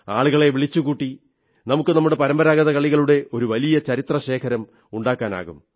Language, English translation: Malayalam, Through crowd sourcing we can create a very large archive of our traditional games